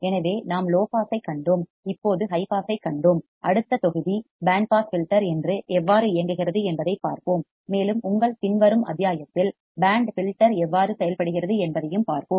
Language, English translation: Tamil, So, we have seen low pass, we have seen high pass now in the next module we will see how the band pass filter works and in your following module we will also see how the band reject filter works